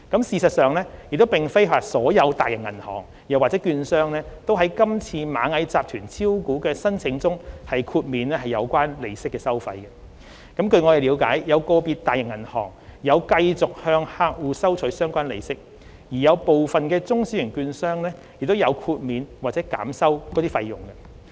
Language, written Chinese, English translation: Cantonese, 事實上，並非所有大型銀行或券商均在今次螞蟻集團招股的申請中豁免有關利息收費，據我們了解，有個別大型銀行有繼續向客戶收取相關利息，而有部分中小型券商亦有豁免或減收該費用。, In fact not all large - scale banks or brokerage firms have waived the relevant interest charges in respect of the Ant Group subscription applications . As far as we understand some large banks have charged their clients on the relevant interests as usual while some small and medium - sized brokerage firms have waived or reduced the charges